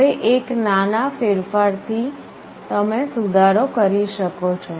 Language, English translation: Gujarati, Now with a small modification you can make an improvement